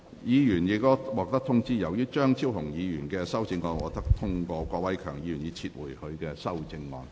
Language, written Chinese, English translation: Cantonese, 議員已獲通知，由於張超雄議員的修正案獲得通過，郭偉强議員已撤回他的修正案。, Members have already been informed as Dr Fernando CHEUNGs amendment has been passed Mr KWOK Wai - keung has withdrawn his amendment